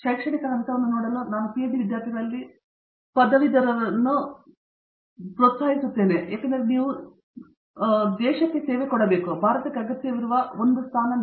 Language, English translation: Kannada, But I will say I will encourage every graduate in PhD students to look at an academic position, because if you want to set this in other 4 as well, but if you want to be a service to the country that is 1 position where India needs you